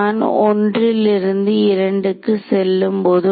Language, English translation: Tamil, When I travel from 1 to 2